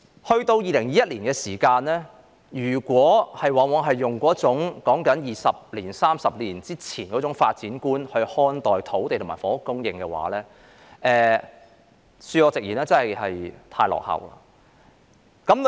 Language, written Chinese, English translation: Cantonese, 時至2021年，如果我們仍然用二三十年前的發展觀看待土地和房屋供應的話，恕我直言，真的是太落後了。, It is now 2021 . If we still look at the issue of land and housing supply in the same way as we did 20 or 30 years ago I am afraid that we are really behind the curve